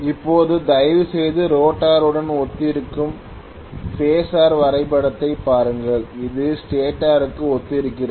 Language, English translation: Tamil, Now, please look at the phasor diagram this corresponds to the rotor whereas this corresponds to the stator